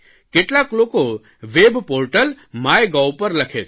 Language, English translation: Gujarati, Some have written on my web portal mygov